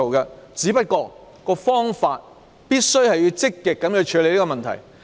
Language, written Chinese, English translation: Cantonese, 然而，所採用的方法必須是積極處理問題。, This I think is what should be done now but to this end steps must be taken to actively address the problem